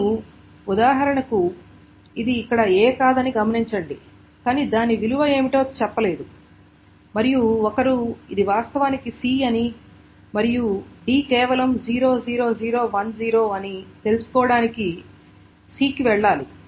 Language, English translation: Telugu, Now note that for example here it is not A but it does not say what the value is and one is to go to C to find out that this is actually C and D is simply 00010